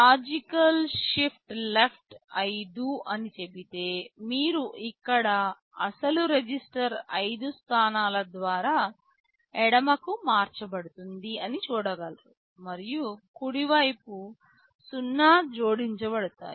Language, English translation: Telugu, You see here if you say logical shift left 5, the original register will be shifted left by 5 positions and 0’s will be added on the right